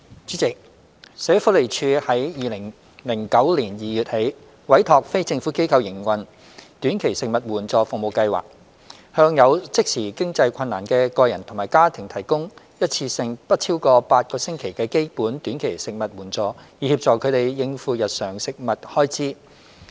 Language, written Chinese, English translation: Cantonese, 主席，社會福利署由2009年2月起，委託非政府機構營運短期食物援助服務計劃，向有即時經濟困難的個人及家庭提供一次性不超過8個星期的基本短期食物援助，以協助他們應付日常食物開支。, President since February 2009 the Social Welfare Department SWD has been commissioning non - governmental organizations to operate the Short - term Food Assistance Service Projects STFASPs which provide one - off basic short - term food assistance for a period of up to eight weeks to help individuals and families facing immediate financial hardship cope with their daily food expenditure